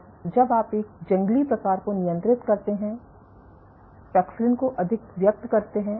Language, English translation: Hindi, And when you took control a wild type if you over express paxillin